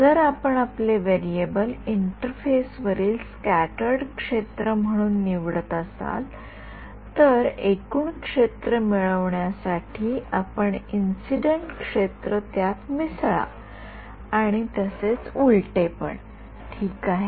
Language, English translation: Marathi, If you are going to choose your variable as the scattered field on the interface, then make sure that you add incident to get the total and vice versa ok